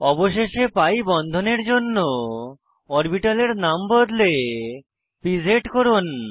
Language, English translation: Bengali, Finally for the pi bond, edit the name of the orbital as pz